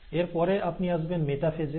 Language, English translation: Bengali, Then you come to metaphase